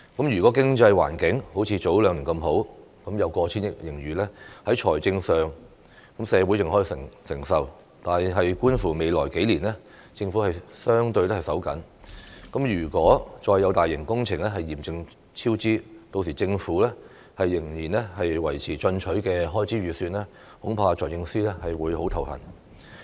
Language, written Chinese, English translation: Cantonese, 如果經濟環境好像早兩年那麼好，有過千億元盈餘，在財政上社會尚可承受，但觀乎未來數年政府相對"手緊"，如果再有大型工程嚴重超支，屆時政府仍要維持進取的開支預算，恐怕財政司司長會很頭痛。, If the economic environment was as promising as several years ago when we easily had a surplus of over 100 billion the financial implications would be acceptable to society . However as the Government will be hard up for money in the coming years if serious cost overruns are recorded for other large - scale projects how to maintain aggressive estimates of government expenditure will probably be a headache for the Financial Secretary